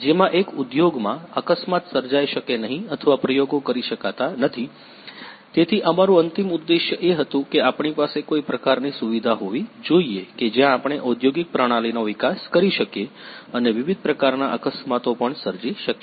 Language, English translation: Gujarati, As accident cannot be created or experimented in industry, so our ultimate aim was that whether we should have some kind of facility where we can develop the industrial system and also create the different kind of accidents